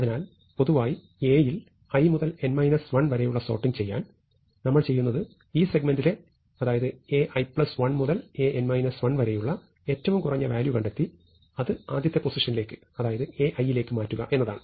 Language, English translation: Malayalam, So, in order to sort in general A from some position i to n minus 1, what we do is we find the minimum value in the segment, that is, from A i to A n minus 1 and move it to the beginning, which is A i, right